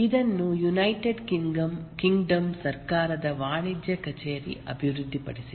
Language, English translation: Kannada, This was developed by the United Kingdom Office of Government of Commerce